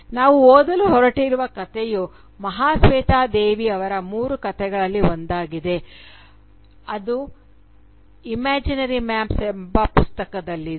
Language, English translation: Kannada, The story that we are going to read is one of the three tales by Mahasweta Devi that is contained in the book titled Imaginary Maps